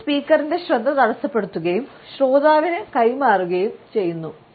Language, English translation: Malayalam, It takes the focus of this speaker and transfers it on to the listener